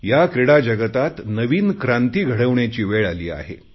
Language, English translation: Marathi, We need to usher revolutionary changes in sports